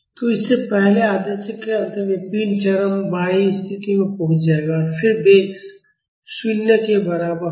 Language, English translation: Hindi, So, at the end of this first half cycle, the body will reach the extreme left position and then the velocity will be equal to 0